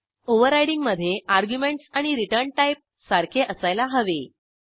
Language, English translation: Marathi, In overriding the arguments and the return type must be same